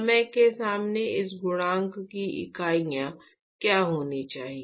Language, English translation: Hindi, What should be the units of this coefficient in front of time